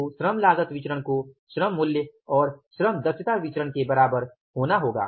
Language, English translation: Hindi, So, labor cost variance has to be equal to the labor price and the labor efficiency